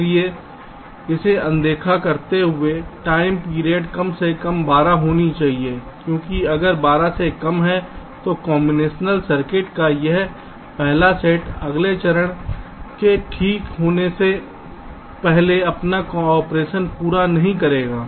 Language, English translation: Hindi, ok, so, ignoring this, the time period should be at least twelve, because if it is less than twelve, then this first set of combination circuit will not finish its separation before the next stage comes